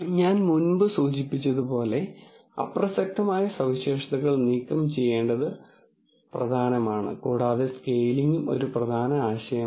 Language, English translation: Malayalam, And as I mentioned before it is important to remove irrelevant features and scaling is also an important idea